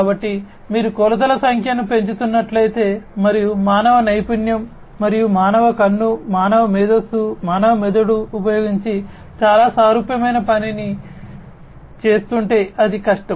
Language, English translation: Telugu, So, if you are increasing the number of dimensions and doing something very similar using the human expertise and human eye, human intelligence, human brain, that is difficult